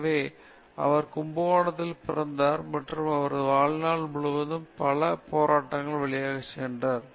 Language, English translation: Tamil, So, he was born in Kumbakonam and most of his life he went through lot of struggle